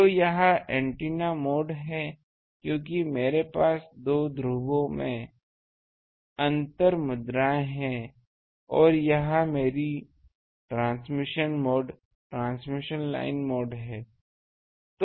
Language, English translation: Hindi, So, this is antenna mode because I have differential currencies in the two poles and this is my transmission mode, transmission line mode